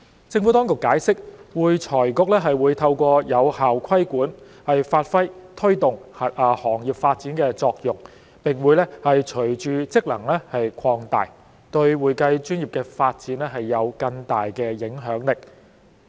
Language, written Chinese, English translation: Cantonese, 政府當局解釋，會財局會透過有效規管，發揮推動行業發展的作用，並會隨着職能擴大，對會計專業的發展有更大的影響力。, The Administration has explained that AFRC will play the role of promoting the development of the profession through effective regulation . Upon the expansion of FRCs functions its influence over the development of the accounting profession will be enhanced